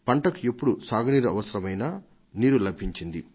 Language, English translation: Telugu, Whenever water was required for crops, farmers had access to it